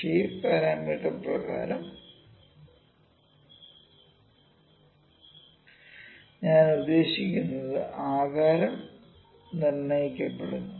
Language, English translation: Malayalam, By shape parameter I mean because it is determine the shape